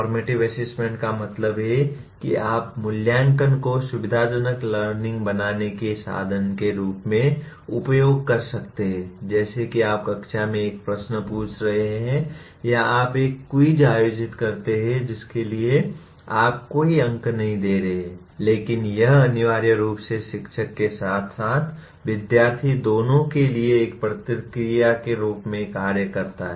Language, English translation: Hindi, Formative assessment means you are using assessment as a means of facilitating learning like for example you are asking a question in the classroom or you conduct a quiz for which you are not giving any marks but it essentially serves as a feedback both to the teacher as well as the student